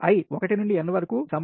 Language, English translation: Telugu, i is equal to n to ci